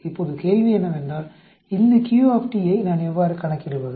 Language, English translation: Tamil, Now the question is how do I calculate these q